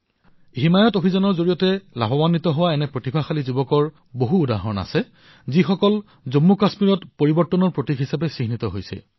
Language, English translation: Assamese, There are many examples of talented youth who have become symbols of change in Jammu and Kashmir, benefiting from 'Himayat Mission'